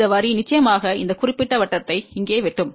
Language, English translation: Tamil, This line will definitely cut this particular circle here